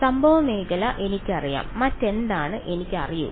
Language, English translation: Malayalam, I know the incident field what else do I know